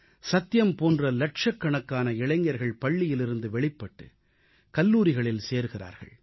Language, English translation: Tamil, Like Satyam, Hundreds of thousands of youth leave schools to join colleges